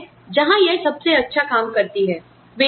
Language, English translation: Hindi, So, that is where, this works best